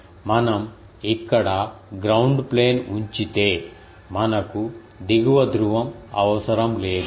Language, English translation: Telugu, So, if we place a ground plane here, then we need not have the lower pole